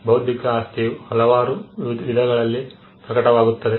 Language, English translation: Kannada, Intellectual property manifests itself in various forms